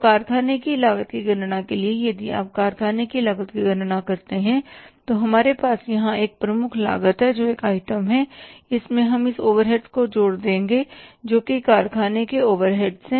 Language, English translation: Hindi, So for calculating the factory cost if you calculate the factory cost we have the prime cost here that is one item and in this we will add these overheads which are factory overheads so we will arrive at the say factory cost or the works cost